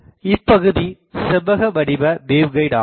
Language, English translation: Tamil, So, the rectangular wave guide